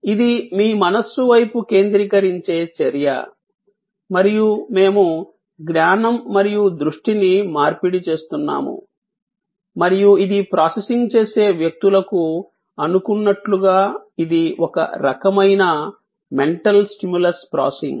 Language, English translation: Telugu, It is an intangible action directed at your mind and we are exchanging knowledge and attention and it is a kind of mental stimulus processing as suppose to people processing